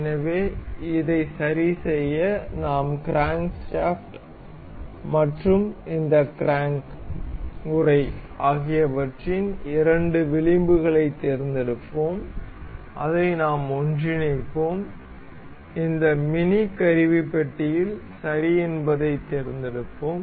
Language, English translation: Tamil, So, to fix this we will select the two edges of crankshaft, and this crank casing and we will to make it coincide and we will select ok in this mini toolbar